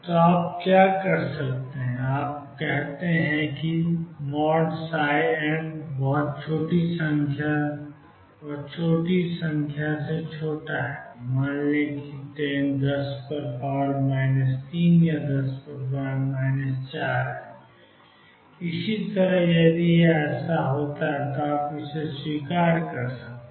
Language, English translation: Hindi, So, what you do is you say psi n modulus is less than some very small number let us say 10 raise to minus 3 or 10 raise to minus 4 or so on if that is the case you accept it